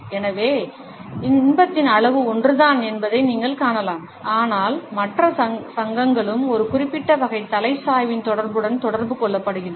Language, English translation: Tamil, So, you would find that the amount of pleasure is the same, but the other associations are also communicated with the association of a particular type of head tilt